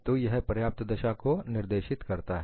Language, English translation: Hindi, So, this specifies the sufficient condition